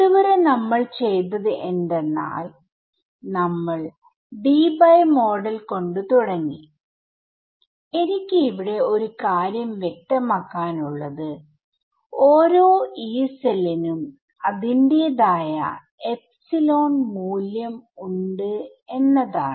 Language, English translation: Malayalam, So, so far what we did was, we started with the Debye model and one thing I want to clarify is that every Yee cell has its own value of epsilon r ok